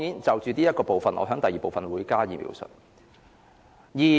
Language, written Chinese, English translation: Cantonese, 就這部分，我會在第二部分加以描述。, I will elaborate this in the second part of my speech